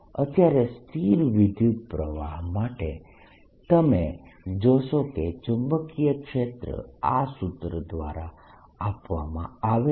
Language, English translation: Gujarati, for the time being, for a steady state current, you find that the magnetic field is given by this formula the moment this happens